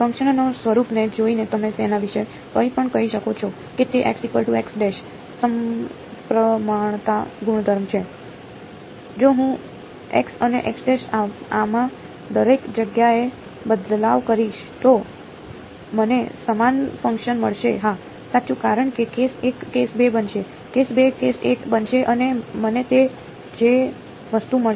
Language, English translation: Gujarati, looking at the form of the function can you say anything about it is symmetry properties with respect to x and x prime, if I interchange x and x prime everywhere in this will I get the same function yes right because case 1 will become case 2; case 2 will become case 1 and I will get the same thing